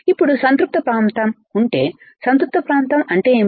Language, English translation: Telugu, Now, if there is a saturation region, what is situation region